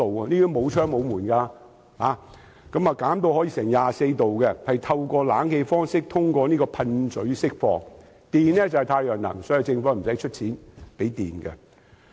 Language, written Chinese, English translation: Cantonese, 它沒有窗戶，也沒有門，經淨化的空氣會以冷氣方式通過噴嘴釋放，可把車站溫度調低至 24℃。, It has no window and no door and purified air will be delivered as conditioned air through spray nozzles to adjust the temperature at the bus stop downward to 24℃ the lowest